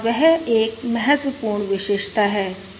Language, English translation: Hindi, that is also important